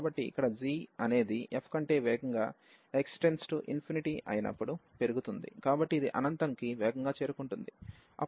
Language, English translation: Telugu, So, here the g is a growing faster than f as x approaching to infinity, so this is approaching to infinity faster